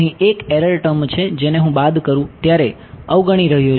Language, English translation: Gujarati, There is an error term over here which I am ignoring when I subtract